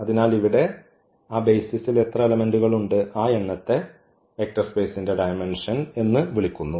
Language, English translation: Malayalam, So, here the number how many elements are there, how many elements are there in that basis that is called the dimension of the vector space